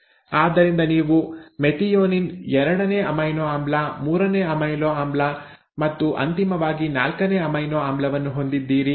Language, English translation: Kannada, So you have the methionine, the second amino acid, the third amino acid, right, and the final the fourth amino acid